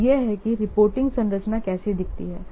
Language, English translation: Hindi, This is the reporting structure